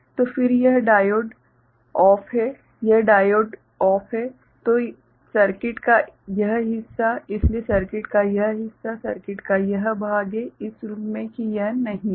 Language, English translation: Hindi, So, then this diode is OFF; this diode is OFF so this part of the circuit, so this part of the circuit; this part of the circuit as if it is not there ok